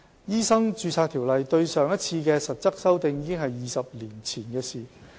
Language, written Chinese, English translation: Cantonese, 《醫生註冊條例》對上一次的實質修訂已是20年前的事。, It has already been 20 years since the Ordinance was last substantially amended